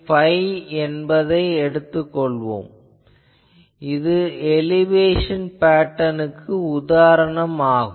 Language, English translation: Tamil, Let us say phi as we move then that gives this is an example of an elevation pattern